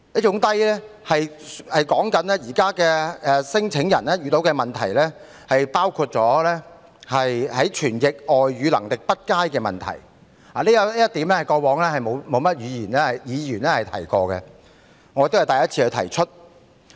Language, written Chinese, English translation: Cantonese, 現時聲請人遇到的問題，包括傳譯外語能力欠佳，過往從未有議員提過這一點，而我也是首次提出。, At present claimants said that they have encountered many problems including poor foreign language interpretation a problem which has not been mentioned by Members so far . This is also the first time that I raise this point